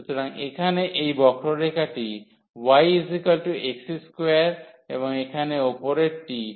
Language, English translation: Bengali, So, here this curve is y is equal to x square and the above one here is y is equal to x